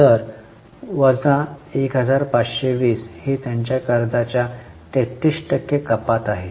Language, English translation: Marathi, So, minus 1520, it is a reduction of 33% of their debt